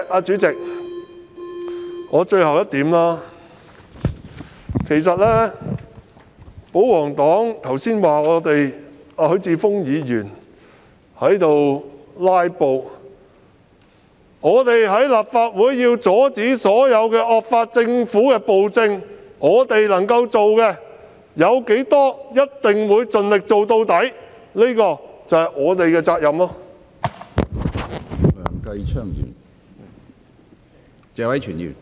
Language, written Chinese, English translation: Cantonese, 主席，最後一點是，保皇黨剛才指許智峯議員"拉布"，但為了在立法會阻止所有惡法通過及政府施行暴政，能夠做到多少，我們便必會盡力而為，這正是我們的責任。, President lastly the royalists just now criticized Mr HUI Chi - fung for his filibuster . However in order to prevent the passage of draconian laws as well as the tyranny of the Government in the Legislative Council we will try our best to do as much as we can because this is our responsibility